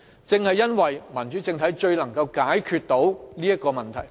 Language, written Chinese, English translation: Cantonese, 正因為民主政體最能正中要害，解決上述問題。, Just because a democratic political regime is the key to resolving the above problem